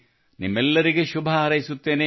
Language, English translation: Kannada, I wish you the very best